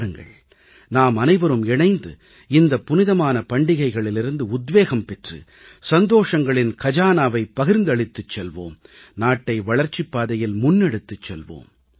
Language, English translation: Tamil, Let us come together and take inspiration from these holy festivals and share their joyous treasures, and take the nation forward